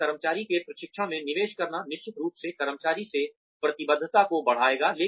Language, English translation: Hindi, Investing in the training of an employee, will definitely increase the commitment, from the employee